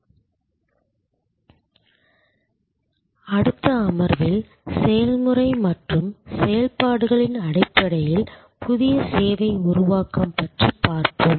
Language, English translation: Tamil, In this and next session, we will look at new service creation more in terms of process and operations